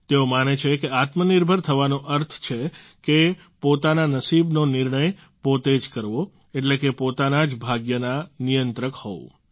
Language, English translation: Gujarati, He believes that being selfreliant means deciding one's own fate, that is controlling one's own destiny